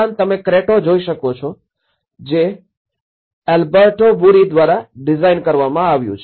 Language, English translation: Gujarati, Also, what you can see is the Cretto which is designed by Alberto Burri